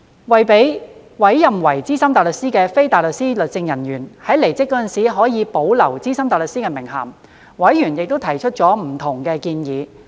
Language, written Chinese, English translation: Cantonese, 為讓被委任為資深大律師的非大律師律政人員在離職時可保留資深大律師名銜，委員提出了不同的建議。, In order to enable legal officers non - officers appointed as SC to retain the title of SC after leaving the Government members put forward various proposals